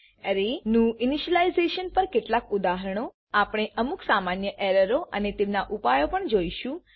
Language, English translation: Gujarati, Few Examples on array We will also see some common errors and their solutions